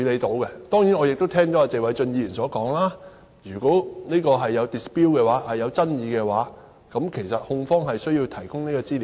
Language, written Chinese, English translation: Cantonese, 當然，我亦聽到謝偉俊議員所說，如果在這方面有爭議，控方有需要提供資料。, Certainly Mr Paul TSE has pointed out that should there be any dispute in this regard the prosecution shall provide information